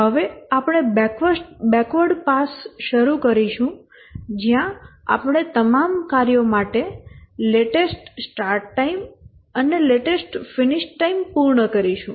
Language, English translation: Gujarati, Now we'll start the backward pass where we'll complete the latest start time and latest finish time for all the tasks